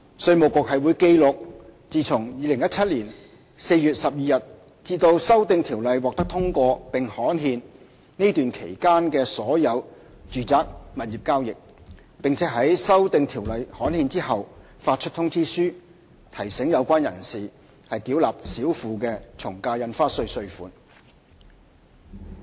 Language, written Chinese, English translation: Cantonese, 稅務局會記錄自2017年4月12日至修訂條例獲通過並刊憲這段期間的所有住宅物業交易，並於修訂條例刊憲後發出通知書，提醒有關人士繳納少付的從價印花稅稅款。, IRD will record all the property transactions between 12 April 2017 and the date on which the Bill is passed and gazetted . Reminders to demand for the AVD underpaid will be issued after the gazettal of the Bill